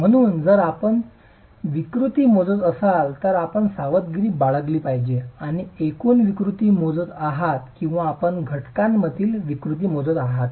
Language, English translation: Marathi, So if you were to measure deformations you have to be careful that you are measuring overall deformations or are you measuring deformations in the constituent material